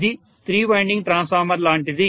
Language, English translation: Telugu, This is like a three winding transformer